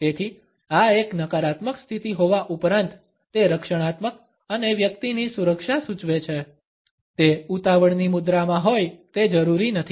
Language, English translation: Gujarati, So, though this is a negative position indicating a defensive and in security of a person; it is not necessarily a hurried posture